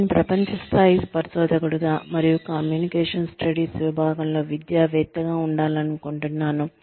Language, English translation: Telugu, I would like to be, a world class researcher and academic, in the area of communication studies